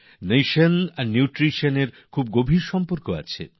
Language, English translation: Bengali, Nation and Nutriti on are very closely interrelated